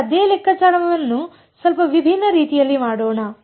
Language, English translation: Kannada, Now let us do the same calculation in a slightly different way